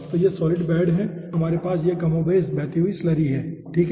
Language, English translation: Hindi, so this is the solid bed and here we are having more or less flowing slurry